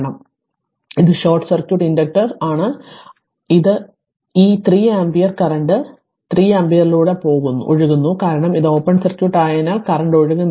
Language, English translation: Malayalam, So, it is short circuit inductor is short circuit; that means, this 3 ampere there is no current is flowing through 3 ampere because it is open circuit right no current is flowing